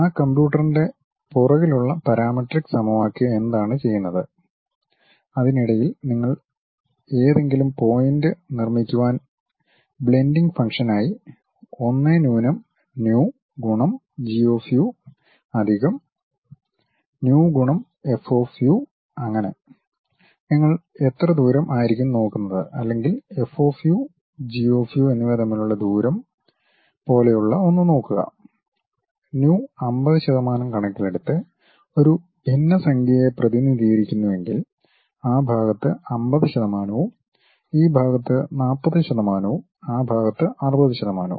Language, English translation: Malayalam, Then the parametric equation at back end of that computer what it does is you construct any point in between that as some blending functions like 1 minus nu multiplied by G of u plus nu times F of u is based on how much distance you would to really look at something like the distance between F of u and G of u if we are representing a fraction in terms of nu 50 percent on this side remaining 50 percent on that side or 40 percent on this side 60 percent on that side